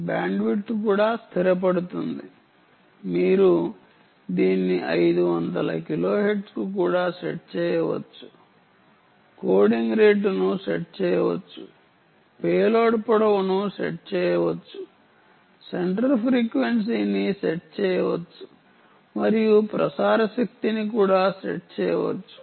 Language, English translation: Telugu, you can set it to even five hundred kilohertz coding rate can be set, payload length can be set, centre frequency can be set and transmit power can also be set